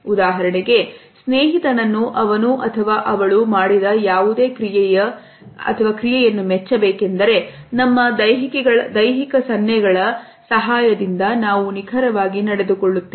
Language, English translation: Kannada, For example, if we have to appreciate a friend for something he or she has just done what exactly do we do with the help of our bodily gestures